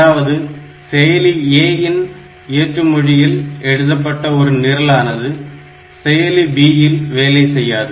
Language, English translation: Tamil, So, one program written in assembly language of processor A will not work on processor B